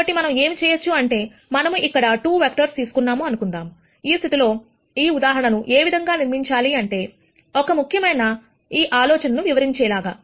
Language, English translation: Telugu, So, what we can do is, we can take, let us say 2 vectors here, in this case this is how this example has been constructed to illustrate an important idea